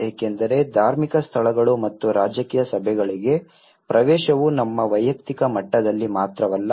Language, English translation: Kannada, Because the access to the religious places and the political meetings not only that in our personal level